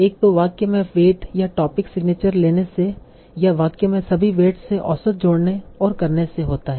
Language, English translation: Hindi, One is simply by taking the weights or topics signatures in the sentence and adding or doing the average over all the weights in the sentence